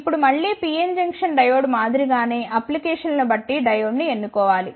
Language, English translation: Telugu, Now, again similar to the PN Junction diode one should choose the diode depending upon the applications